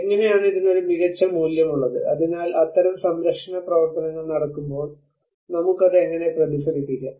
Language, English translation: Malayalam, And how it has an outstanding value so how we can actually reflect that back when we are doing such kind of conservation works